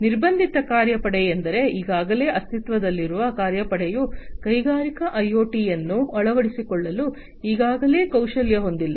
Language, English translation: Kannada, Constrained work force means, the work force that that is already existing is not already skilled to adopt industrial IoT